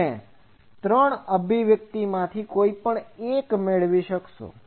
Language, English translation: Gujarati, So, you will get either of those 3 expressions